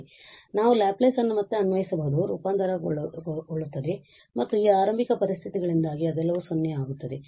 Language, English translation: Kannada, So, we can apply again the Laplace transform and all these will become 0 because of this initial conditions